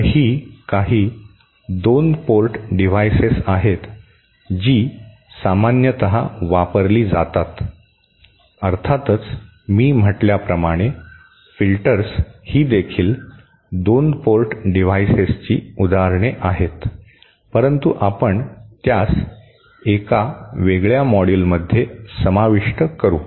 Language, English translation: Marathi, So, these are some of the 2 port devices that are commonly used, of course as I said, filters are also examples of 2 port devices but we shall cover them in a separate module